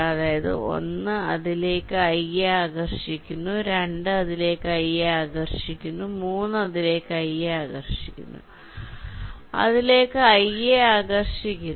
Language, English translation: Malayalam, so one is trying to attract i toward itself, two is trying to attract i towards itself, three is trying to attract i toward itself and four is trying to attract i towards itself